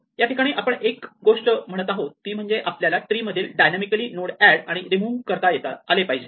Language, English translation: Marathi, So, one of the things we said is that we need to be able to dynamically add and remove elements from the tree